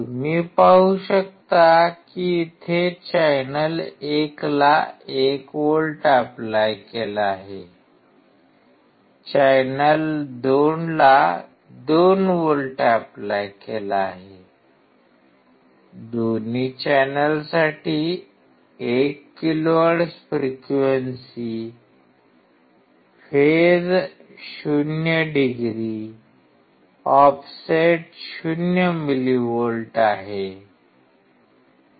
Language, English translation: Marathi, You can see here 1 volts applied to channel 1, 2 volts applied to channel 2, 1 kHz frequency for both the channel, phase is 0 degree, offset is 0 millivolt